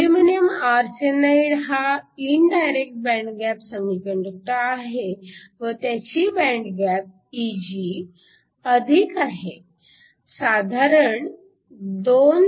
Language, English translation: Marathi, Aluminum arsenide is an indirect band gap semiconductor with Eg that is higher around 2